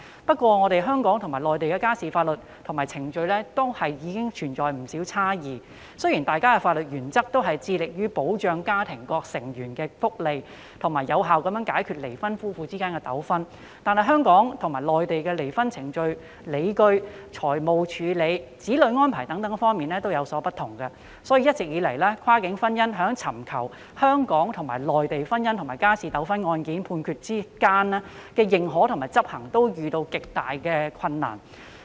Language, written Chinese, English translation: Cantonese, 不過，香港和內地的家事法律和程序存在不少差異，雖然大家的法律原則均是致力保障家庭各成員的福利，以及有效解決離婚夫婦之間的糾紛，但香港和內地在離婚程序及理據、財產處理、子女安排等方面均有所不同，所以一直以來，跨境婚姻在尋求香港和內地的婚姻和家事糾紛案件判決的相互認可和執行上，均遇到極大困難。, However there are quite a lot of differences in family laws and procedures between Hong Kong and the Mainland . Although the legal systems of the two places share the same principles of striving to protect the well - being of family members and settling disputes between divorced couples effectively they differ in areas such as divorce procedures and grounds dealing with property and child arrangement therefore parties in cross - boundary marriage have been facing great difficulties in seeking reciprocal recognition and enforcement of judgments given by the courts of the two places in matrimonial and family disputes